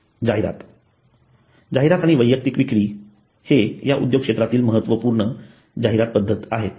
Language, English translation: Marathi, Promotion, advertisement and personal selling are crucial promotional techniques in this industry